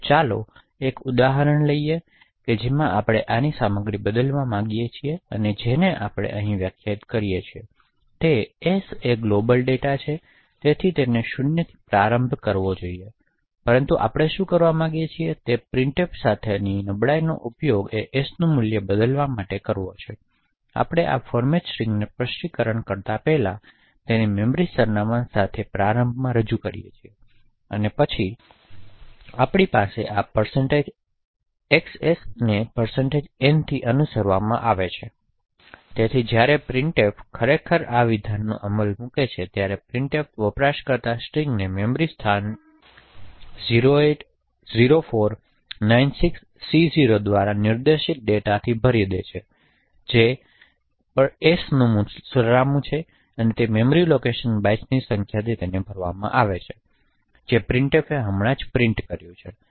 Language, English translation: Gujarati, the content of this s which we have defined here so s is a global data so it should be initialised to 0 but what we want to do is use the vulnerability with printf to change the value of s, so as we have done before we specify this format string with the memory address of s represent initially then we have these % xs followed by % n, so when printf actually executes this statement that this printf user string it would fill the memory location pointed to by 080496C0 which essentially is the address of s, so that memory location would be filled with the number of bytes that printf had just printed